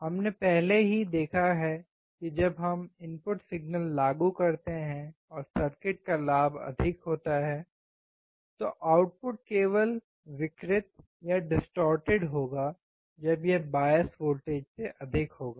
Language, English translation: Hindi, We have already seen that when we apply input signal and the gain of the circuit is high, the output will be distorted only when it exceeds the bias voltage